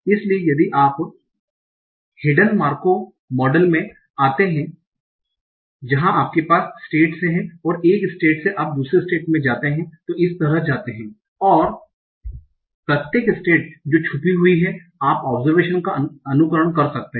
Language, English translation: Hindi, So if you have come across hidden marker model where you have the states and from one state you turn it to another state and so on, and in each state that is hidden, you can emit the observation